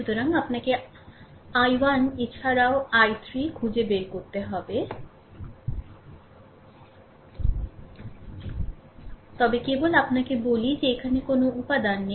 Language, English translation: Bengali, So, you have to find out i 1 also i 3, but just let me tell you there is no element here